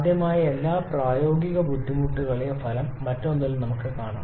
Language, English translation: Malayalam, Let us see the effect of all such possible practical difficulties in another one